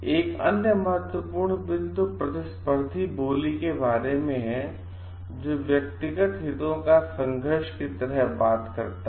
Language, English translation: Hindi, Another important point is about competitive bidding, which talks about like the conflict of interest